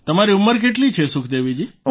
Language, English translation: Gujarati, how old are you Sukhdevi ji